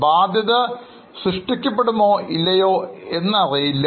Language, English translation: Malayalam, Whether the liability would be created or no is also not known